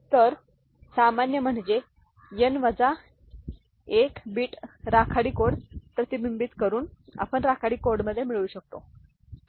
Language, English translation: Marathi, So, the I mean generalized at by reflecting n minus 1 bit gray code we can get in the gray code, ok